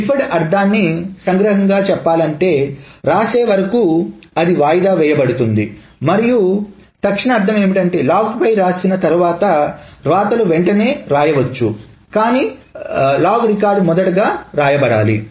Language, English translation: Telugu, Just to summarize the deferred meaning, the rights are deferred till it commits and immediate meaning the rights can go immediately after it has been written on the log, but the log record must be written first